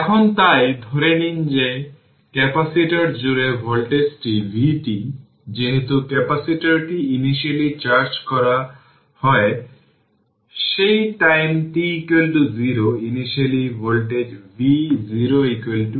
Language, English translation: Bengali, Now so, assume that the voltage across the capacitor is vt since the capacitor is initially charged we assume that time t is equal to 0 the initial voltage V 0 is equal to V 0 right